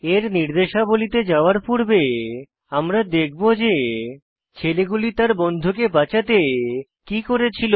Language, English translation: Bengali, Before moving on to the first aid instructions, we will review what the group of boys did to save their friend